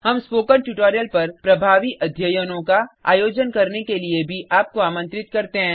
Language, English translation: Hindi, We also invite you to conduct efficacy studies on Spoken tutorials